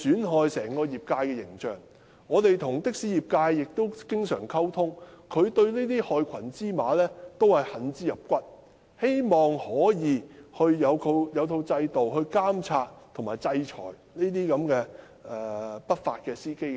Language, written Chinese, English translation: Cantonese, 我們經常與的士業界溝通，他們對於這些害群之馬同樣恨之入骨，希望能有制度監察及制裁這些不法司機。, We have maintained frequent communication with the taxi trade . They have also found those black sheep abhorrent and asked for a regime under which those illegal drivers will be monitored and punished